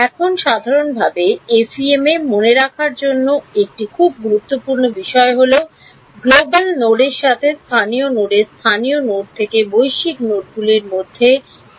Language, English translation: Bengali, Now, one very important thing to keep in mind in FEM in general is the mapping between global nodes to local nodes local nodes to global nodes ok